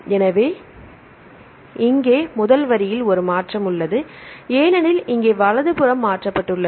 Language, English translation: Tamil, So, here there is a shift in the first sequence because there is shifted here right